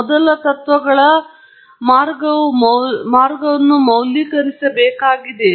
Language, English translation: Kannada, Even a first principles approach has to be validated